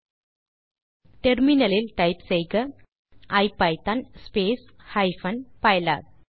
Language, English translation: Tamil, Now, type in terminal ipython space hyphen pylab